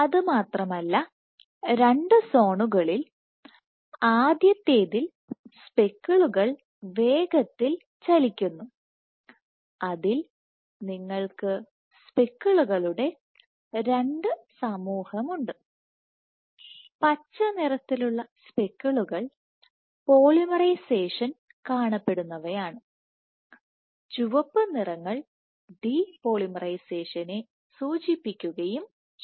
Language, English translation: Malayalam, So, the two zones in the first zone where speckles move fast you have two populations of speckles the green one corresponds to speckles were polymerization is observed and the red ones signify de polymerization